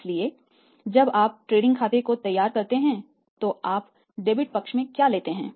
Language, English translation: Hindi, So, when you prepare the trading account what you take in the debit side